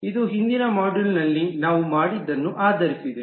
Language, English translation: Kannada, So this is just based on what we did in the earlier module